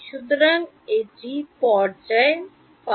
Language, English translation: Bengali, So, this is the phase phi